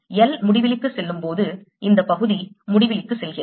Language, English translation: Tamil, this part goes to infinity as l goes to infinity, so i can ignore this